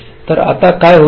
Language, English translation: Marathi, so now what will happen